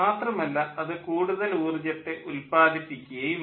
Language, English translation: Malayalam, it will not produce much energy